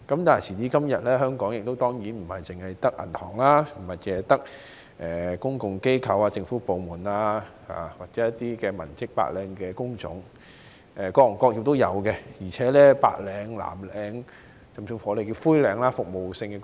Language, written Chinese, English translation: Cantonese, 但是，時至今天，香港當然並非只有銀行、公共機構、政府部門或文職的白領工種，而是有各行各業，包括白領、藍領，甚至稱為"灰領"的服務性工作。, But nowadays in Hong Kong there are certainly not only banks public bodies government departments clerical work or other white - collar jobs but also various industries and sectors including white - collar jobs blue - collar jobs and even grey - collar jobs in the service sectors